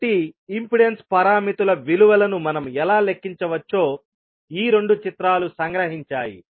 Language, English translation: Telugu, So, these two figures summarises about how we can calculate the values of impedance parameters